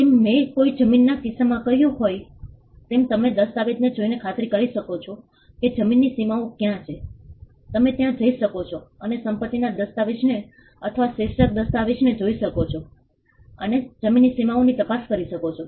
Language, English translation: Gujarati, As I said in the case of a land, you can doubly be sure you can be sure by looking at the document, where the boundaries of the land are, you could also go and look into the property deed or the title deed and see what are the boundaries of the land